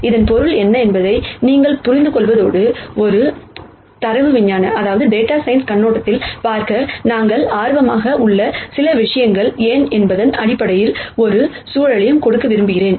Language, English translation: Tamil, So that you understand what this means and I also want to give a context, in terms of why these are some things that we are interested in looking at from a data science viewpoint